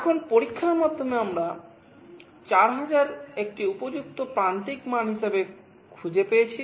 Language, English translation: Bengali, Now, through experimentation, we found 4000 to be a suitable threshold value